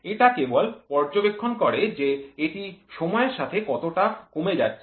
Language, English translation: Bengali, It only monitors how much it is getting sunk over a period of time